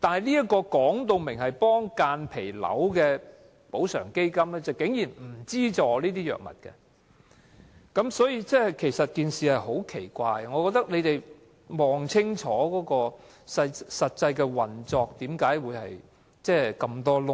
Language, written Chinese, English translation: Cantonese, 這個訂明幫助間皮瘤病人的補償基金不提供相關藥物資助，實在十分奇怪，我認為當局應清楚了解基金的實際運作為何諸多漏洞。, It is really weird for a compensation fund set up for mesothelioma patients not to finance their drugs . I think the authorities should examine why there are so many loopholes in the actual operation of the Fund